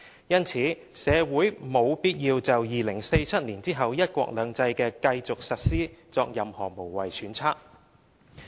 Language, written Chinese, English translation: Cantonese, 因此，社會沒有必要就2047年後"一國兩制"的繼續實施作任何無謂揣測。, It is therefore unnecessary for the community to speculate about the continued implementation of one country two systems after 2047